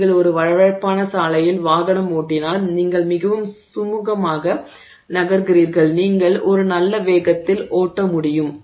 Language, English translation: Tamil, If you move on a, if you drive on a smooth road, you're moving very smoothly, you know, there's no, you can basically drive at a fairly good speed